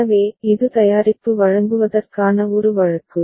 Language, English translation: Tamil, So, that is a case of delivering the product